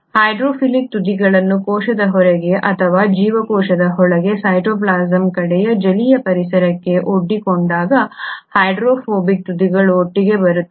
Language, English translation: Kannada, With the hydrophilic ends exposed to the aqueous environment either outside the cell or inside the cell towards the cytoplasm, while the hydrophobic ends come together